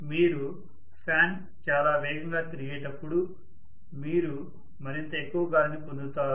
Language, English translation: Telugu, When you have the fan rotating much faster you see that more and more wind you get, right